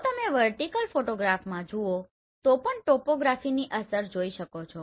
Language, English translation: Gujarati, So here if you see even in the vertical photograph you can see the effect of topography